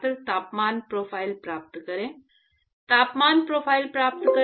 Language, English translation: Hindi, Get the temperature profile Get the temperature profile